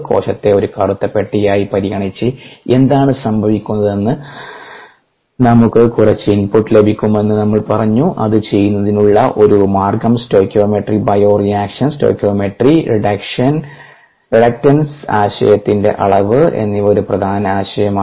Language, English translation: Malayalam, we said that we could get some input into what is happening by considering the cell as ablack box, and one of the method of doing that is by ah stoichiometry, bioreactions, stoichiometry and the degree of reluctance concept is an important concept there